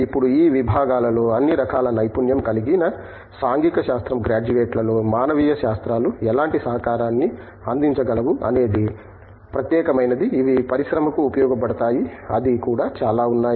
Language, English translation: Telugu, Now, being a specific to what kind of contributions can humanities in social science graduates with all kinds of expertise in these disciplines make which are useful for industry, thatÕs also numerous